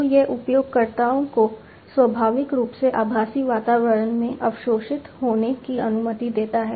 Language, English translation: Hindi, So, it allows the users to get naturally absorbed into the virtual environment